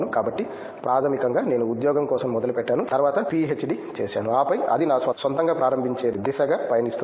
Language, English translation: Telugu, So, the basically I started for a job and then to do a PhD and then it’s moving towards starting my own